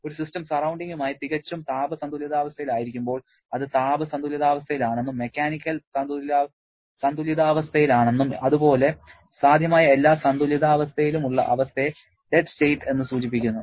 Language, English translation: Malayalam, Dead state refers to the state when a system is in perfect thermal equilibrium with the surrounding, means it is in thermal equilibrium, it is in mechanical equilibrium and all possible source of equilibrium